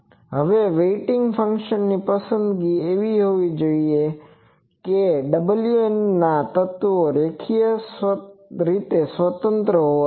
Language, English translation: Gujarati, Now the choice of weighting function should be such that the elements of w n must be linearly independent